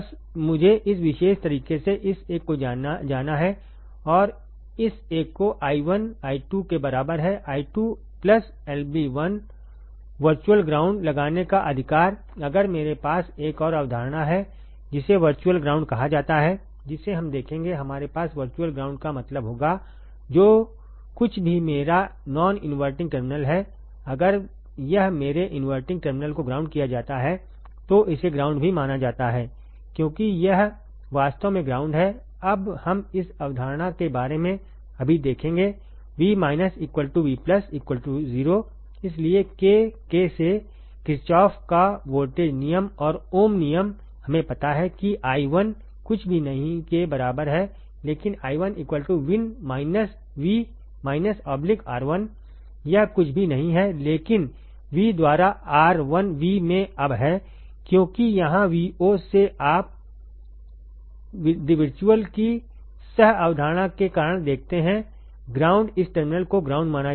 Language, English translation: Hindi, So, I have to go in this particular way this one this one and this one; i 1 equals to i 2 right i 2 plus I b 1, right applying virtual ground if I there is another concept called virtual ground we will see; we will have virtual ground means whatever the whatever my non inverting terminal if it is grounded my inverting terminal is also considered as the ground it is virtually ground now we will see about this concept right now V minus equals to V plus equals to 0 therefore, from k V l Kirchhoff’s voltage law and ohms law we know that i 1 equals to nothing, but i 1 equals to V in minus V minus right divided by R 1 this is nothing, but V in by R 1 V now because here V minus you see the because of the co concept of virtual ground this terminal will be considered as ground, right